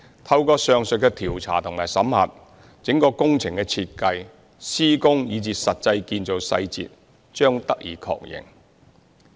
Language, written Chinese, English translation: Cantonese, 透過上述的調查和審核，整個工程的設計、施工，以至實際建造細節，將得以確認。, Through the aforesaid investigation and audit the design the construction and the as - constructed details of the whole project will be verified